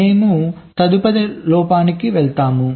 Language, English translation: Telugu, we move on to the next fault